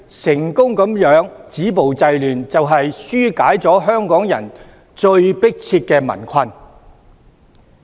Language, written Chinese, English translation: Cantonese, 成功止暴制亂，就是紓解了香港人最迫切的民困。, Once the violence and disorder are successfully dealt with peoples difficulties will be addressed